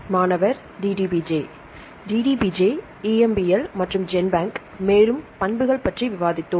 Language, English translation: Tamil, DDBJ DDBJ, EMBL and Genbank and then we discussed about the properties right